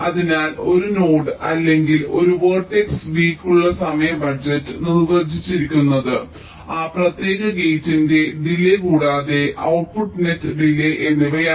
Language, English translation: Malayalam, so the timing budget for a node or a vertex, v is defined as the delay of that particular gate plus the delay of the output net